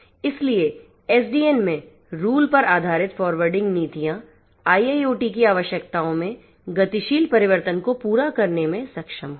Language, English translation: Hindi, So, rule based forwarding policies in SDN would be able to meet the dynamic change in the requirements of IIoT